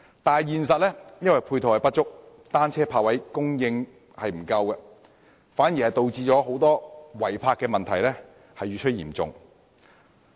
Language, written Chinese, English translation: Cantonese, 但實際上，由於配套不足，單車泊位供應短缺，反而導致違泊問題越趨嚴重。, But in reality given an inadequacy of ancillary facilities and a short supply of bicycle parking spaces the illegal parking problem has gone from bad to worse instead